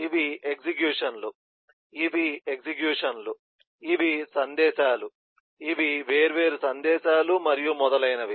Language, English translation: Telugu, these are executions, these are executions, these are messages, these are different messages, and so on